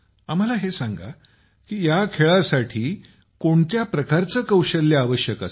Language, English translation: Marathi, Tell us what kind of skills are required for this